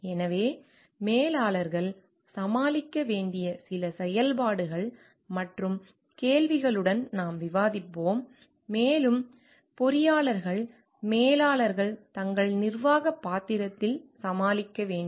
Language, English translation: Tamil, So, we will discuss with some functions and questions that managers must deal with and more so like the engineers managers must deal with in their managerial role